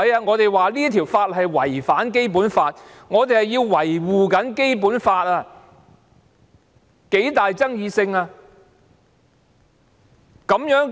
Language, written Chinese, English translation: Cantonese, 我們指出該項法例違反《基本法》，我們正在維護《基本法》，那是極具爭議的議題。, We pointed out that the legislation had contravened the Basic Law . We were upholding the Basic Law . That was a most controversial issue